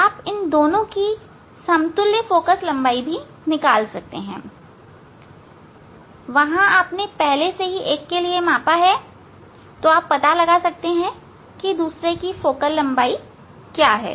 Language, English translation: Hindi, You can measure the focal length you can find out the equivalent focal length of these two and from there one you have measured already for second one, you can find out that is focal length of the second one